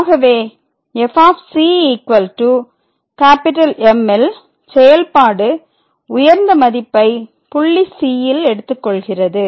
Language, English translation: Tamil, So, we take that the function is taking this value at a point